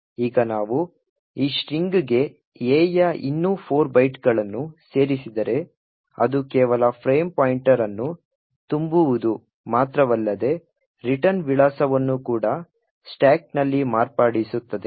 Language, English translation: Kannada, Now if we add 4 more bytes of A to this particular string, it would be not just the frame pointer but also the return address which gets modified on the stack